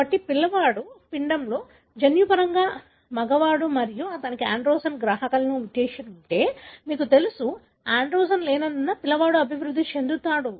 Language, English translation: Telugu, So, in an embryo, a child is a genetically male and if he is having a, receptor, you know, mutation in the androgen receptor, then the child would develop as such there is no androgen